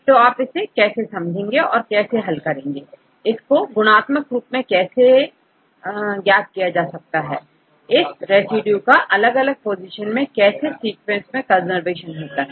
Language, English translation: Hindi, So, how to understand or how to derive, how to qualitatively measure, the conservation of the residues at different positions in a sequence, in this case it is a 2 step procedure